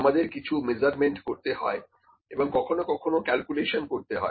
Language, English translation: Bengali, We have to do some measurements we have to do some calculation sometimes, ok